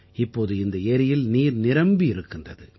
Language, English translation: Tamil, Now this lake remains filled with water